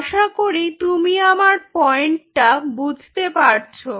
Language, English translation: Bengali, you see my point